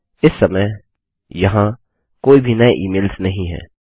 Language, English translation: Hindi, There are no new emails at the moment